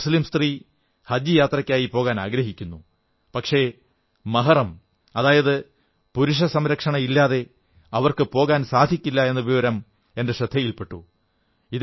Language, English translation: Malayalam, It has come to our notice that if a Muslim woman wants to go on Haj Pilgrimage, she must have a 'Mehram' or a male guardian, otherwise she cannot travel